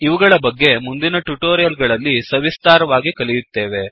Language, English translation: Kannada, We will learn about these in detail, in the coming tutorials